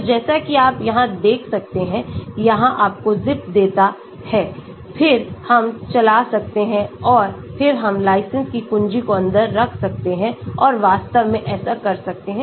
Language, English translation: Hindi, so as you can see here, it gives you zip then we can run and then we can put the license key inside and so on actually